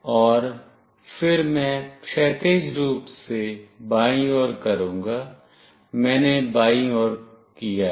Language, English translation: Hindi, And then I will make horizontally left, I have done to the left side